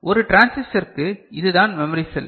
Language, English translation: Tamil, And for one transistor this is the memory cell